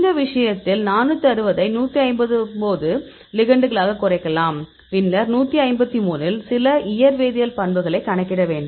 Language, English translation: Tamil, In this case we can reduce is 460 into 159 ligands; then among the 153, you calculate some of the physical chemical properties